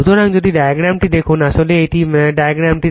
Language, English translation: Bengali, So, if you see the diagram actually this is the diagram